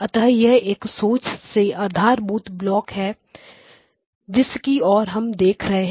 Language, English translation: Hindi, So, this is this is a very foundational block that we are looking at